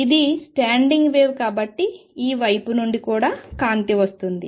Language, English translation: Telugu, Then since this is the standing wave there is a light coming this way also